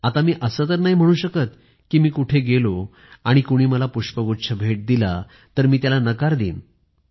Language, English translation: Marathi, Now, I cannot say that if I go somewhere and somebody brings a bouquet I will refuse it